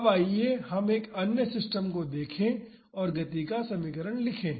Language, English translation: Hindi, Now, let us look into another system and write the equation of motion